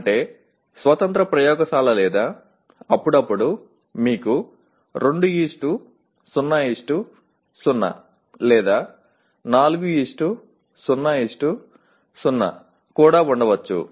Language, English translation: Telugu, That means a standalone laboratory or occasionally you may have 2:0:0 or even 4:0:0